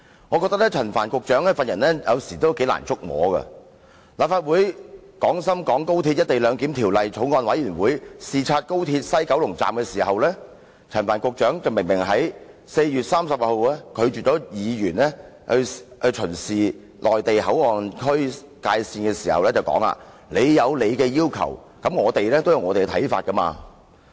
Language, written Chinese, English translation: Cantonese, 我認為陳帆局長的為人有時難以觸摸，當立法會《廣深港高鐵條例草案》委員會視察廣深港高鐵西九龍站時，陳帆局長在4月30日明明拒絕議員巡視內地口岸區界線，並說："你有你的要求，我們也有我們的看法。, I think Secretary Frank CHAN is unpredictable . When the Bills Committee on Guangzhou - Shenzhen - Hong Kong Express Rail Link Co - location Bill of the Legislative Council inspected the West Kowloon Station Secretary Frank CHAN clearly refused to let Members inspect the boundary of the Mainland Port Area on 30 April and said to this effect You may state your requests yet we may also have our views